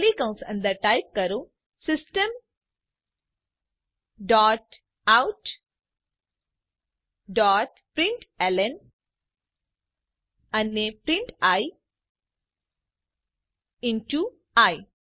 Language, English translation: Gujarati, Inside the curly brackets type System dot out dot println and print i into i